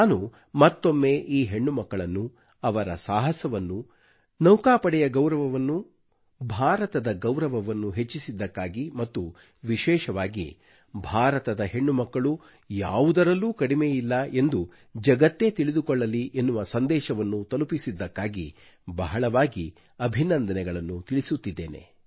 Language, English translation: Kannada, Once again, I congratulate these daughters and their spirit of adventure for bringing laurels to the country, for raising the glory of the Navy and significantly so, for conveying to the world that India's daughters are no less